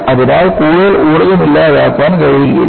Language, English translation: Malayalam, So, more energy cannot be dissipated